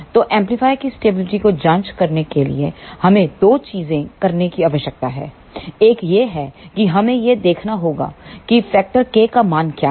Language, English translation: Hindi, So, to check the stability of the amplifier we need to do two things; one is we have to see what is the stability factor K value